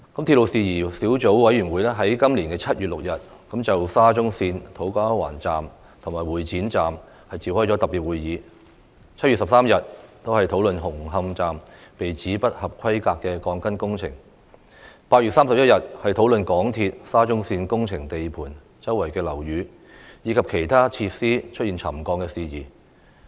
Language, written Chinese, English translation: Cantonese, 鐵路事宜小組委員會在今年7月6日就沙中線土瓜灣站和會展站召開特別會議，在7月13日討論紅磡站被指不合規格的鋼筋工程，在8月31日討論港鐵公司沙中線工程地盤周邊樓宇及其他設施出現沉降的事宜。, The Subcommittee on Matters Relating to Railways convened a special meeting in respect of To Kwa Wan Station and Exhibition Centre Station on 6 July discussed the alleged substandard reinforcement works at Hung Hom Station on 13 July and deliberated on issues relating to the settlement of buildings and other facilities in the vicinity of construction sites of the SCL Project of MTRCL on 31 August this year